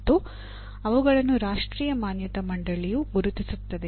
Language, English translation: Kannada, And they are identified by the National Board of Accreditation